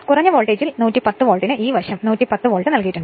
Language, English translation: Malayalam, Then, on low voltage side 110 Volt is given this side actually 110 Volt is given